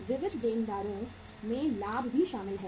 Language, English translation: Hindi, Sundry debtors include the profit also